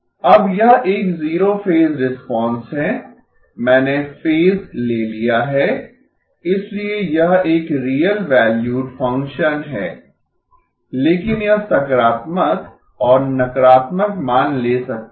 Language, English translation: Hindi, Now this is a zero phase response, I have taken out the phase so this is a real valued function but it can take positive and negative values